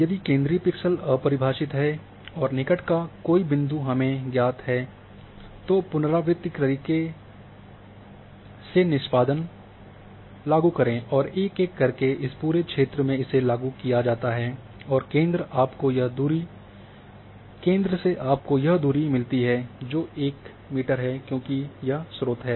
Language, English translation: Hindi, If the central pixel is undefined and one of the neighbours is known then apply the filter iteratively and one by one throughout this thing it is applied and the centre you get this one